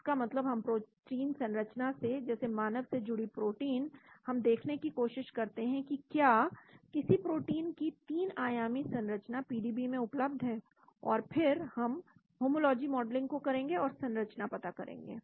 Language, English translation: Hindi, That means we from the protein sequence of say human related protein, we try to see whether any protein 3 dimensional structure of protein is available in PDB, and then we perform a homology model and get the structure